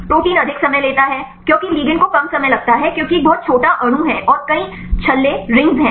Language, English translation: Hindi, Protein takes more time because ligand take less time because it is a very small molecule and there are many rings